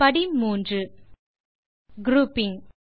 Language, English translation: Tamil, We are in Step 3 Grouping